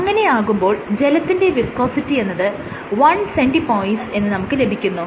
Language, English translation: Malayalam, So, viscosity of water is 1 cP